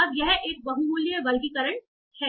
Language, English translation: Hindi, Now this is a multi value classification